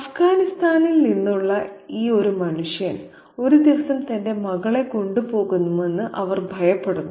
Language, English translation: Malayalam, She fears that this man from Afghanistan might one day kidnap her daughter and take her away